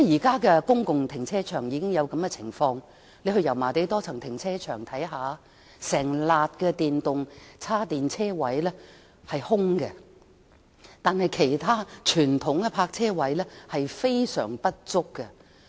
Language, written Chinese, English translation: Cantonese, 現時公共停車場已出現一種情況，大家可到油麻地多層停車場看看，便會發現一整排的電動車充電車位是空置的，但其他傳統泊車位卻供不應求。, If some of the parking spaces are required to be used exclusively by EVs for charging a phenomenon occurred in the existing public car parks we can go to the Yau Ma Tei Multi - Storey Car Park to have a look we will find that an entire row of parking spaces with charging facilities for EVs is vacant while other conventional parking spaces are under - supply